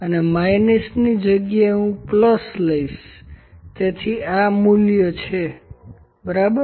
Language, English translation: Gujarati, And in place of minus I will put plus enter, so this is the value, ok